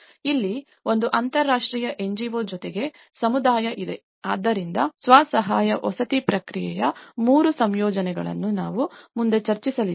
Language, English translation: Kannada, Here, an international NGO plus the community so, this is the three compositions of the self help housing process which we will be discussing further